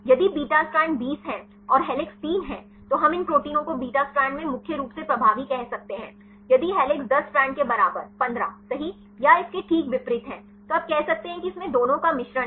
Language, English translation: Hindi, If beta strand is 20 and helix is 3 then we can say these proteins mainly dominant in beta strand if helix equal to 10 strand equal to 15 right or vice versa right then you can say it contains both mixture of that